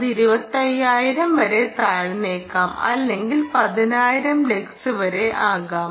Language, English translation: Malayalam, it may be even down to twenty five thousand, may be down to ten thousand lux